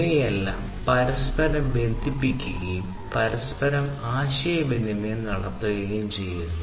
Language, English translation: Malayalam, So, all of these things would be inter networked, would be interconnected